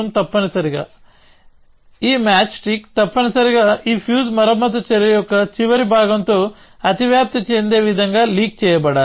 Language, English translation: Telugu, So, essentially this match stick must be leaked in such a way that it overlaps with the end part of this fuse repair action